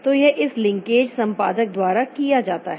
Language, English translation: Hindi, So, that is done by this linkage editor